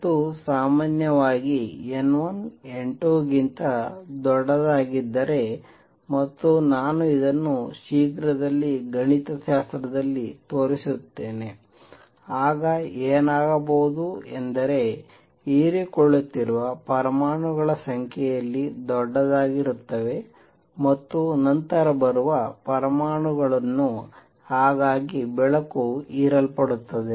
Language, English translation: Kannada, And normally, if N 1 is greater than N 2 and I will show this mathematically soon then what would happen is that atoms that are getting absorbed would be larger in number then the atoms that are coming down